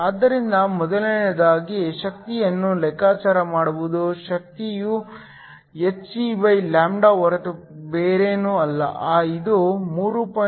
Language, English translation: Kannada, So, the first thing is to calculate the energy, energy is nothing but hc, this works out to be 3